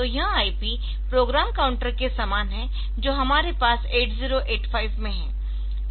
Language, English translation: Hindi, So, this IP is similar to program counter that we have in 8085